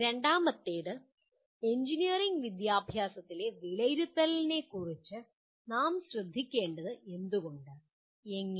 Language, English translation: Malayalam, And second one is why do we need to be concerned with assessment in engineering education and how